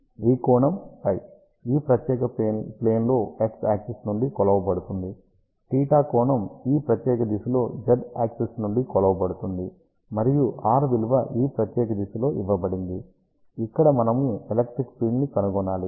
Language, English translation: Telugu, So, angle phi is measured from x axis in this particular plane, angle theta is measured from z axis in this particular direction and r is given in this particular direction, where we want to find out the electric field